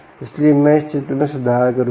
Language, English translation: Hindi, so i will improve this picture